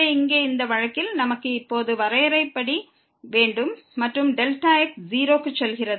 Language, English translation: Tamil, So, here in this case we have as per the definition now and delta goes to 0